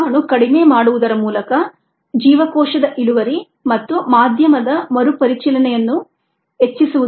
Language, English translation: Kannada, the aim is to enhance cell yields through toxin reduction and medium re circulation